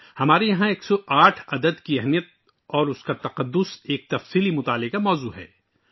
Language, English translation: Urdu, For us the importance of the number 108 and its sanctity is a subject of deep study